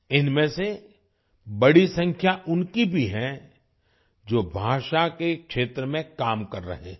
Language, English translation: Hindi, Among these, a large number are also those who are working in the field of language